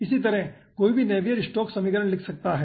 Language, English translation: Hindi, similarly, 1 can write down the navier stokes equation